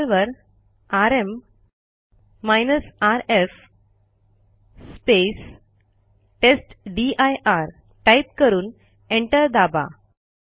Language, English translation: Marathi, Press rm rf testdir and then press enter